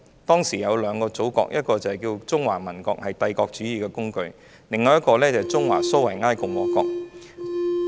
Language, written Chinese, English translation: Cantonese, 當時我們有兩個祖國，一個是中華民國，是帝國主義的工具，另一個是中華蘇維埃共和國。, We had two motherlands at that time one was the Republic of China an instrument of imperialism and the other was the Chinese Soviet Republic